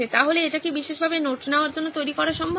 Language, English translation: Bengali, So is it possible to actually make this specifically for note taking